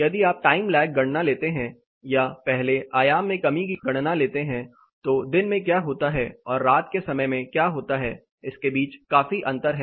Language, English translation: Hindi, If you take the time lag calculation or the reduction in amplitude calculation first there is a considerable difference between what happens in the daytime and what happens in the night time